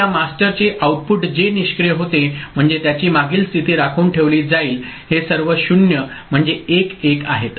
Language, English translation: Marathi, So, the output of this master whatever was there this inactive means the previous state will be retained this these are all 0 means 1 1